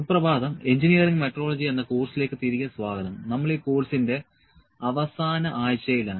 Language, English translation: Malayalam, Good morning, welcome back to the course on Engineering Metrology and we are in the last week of this course